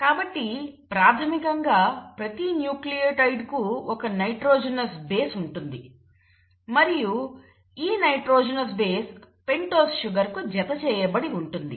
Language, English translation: Telugu, So each nucleotide basically has a nitrogenous base and this nitrogenous base is attached to a pentose sugar